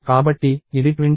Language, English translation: Telugu, So, this is 25